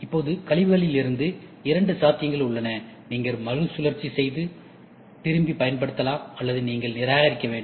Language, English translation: Tamil, Now, there is two possibilities from the waste, you can go back recycle and go back or you should discard